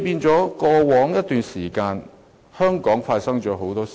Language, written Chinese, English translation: Cantonese, 在過往一段時間，香港發生了很多事。, Many things have happened in Hong Kong over a period of time in the past